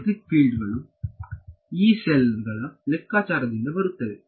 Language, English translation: Kannada, So, these guys electric fields they are coming from the calculation from the Yee cells